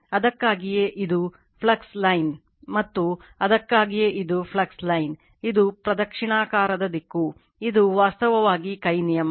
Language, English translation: Kannada, And that is why this one that is why this is the flux line, and this is that is why this is the flux line, it is clockwise direction, this is actually right hand rule right